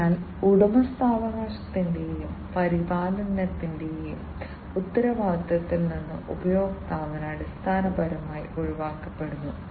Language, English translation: Malayalam, So, customer is basically relieved from the responsibility of ownership, and maintenance